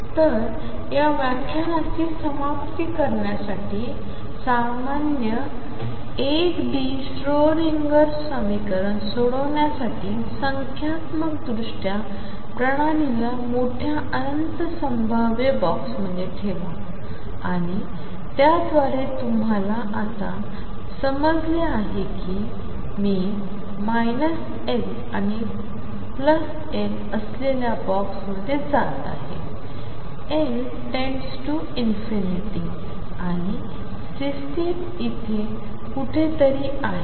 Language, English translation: Marathi, So, to conclude this lecture, to solve a general 1 D Schrodinger equation numerically put the system in large infinite potential box and by that you understand now that I am going to box which is huge minus L and L, L tending to infinity and system is somewhere here